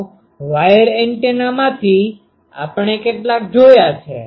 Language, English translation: Gujarati, So, some of the wire antennas we have seen